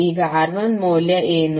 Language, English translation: Kannada, Now, what is the value of R1